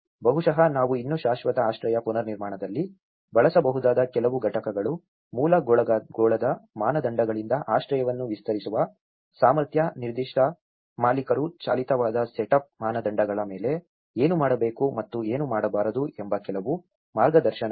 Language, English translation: Kannada, Maybe some components we can still use in the permanent shelter reconstruction, ability to extend shelters from basic sphere standards to suit specific owner driven on the sphere standards of setup some guidance what to do and what not to do